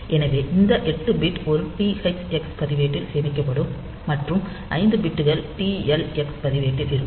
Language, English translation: Tamil, So, this 8 bits will be stored in a THx register and 5 bits will be in the TL x register